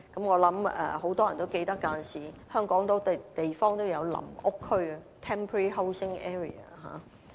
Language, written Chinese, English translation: Cantonese, 我相信很多人也記得，過往香港有很多地方也設有臨屋區。, I believe many people can remember that in the past there were temporary housing areas in Hong Kong